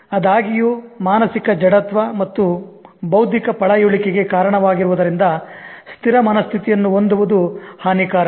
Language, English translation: Kannada, However, it's harmful to have a fixed mindset as it leads to mental inertia and intellectual fossilization